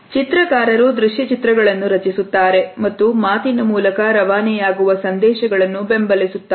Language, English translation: Kannada, So, illustrators create visual images and support spoken messages